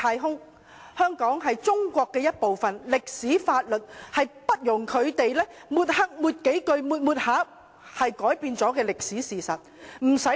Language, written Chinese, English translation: Cantonese, 香港是中國的一部分，這在歷史和法律上均不容抹黑，不是由他們抹黑數遍，就可以改變歷史事實。, That Hong Kong is part of China is beyond any doubt both historically and legally . This is a historical fact that cannot be altered by anything let alone their acts of smearing